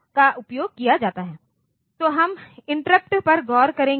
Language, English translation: Hindi, Next we will look into the interrupt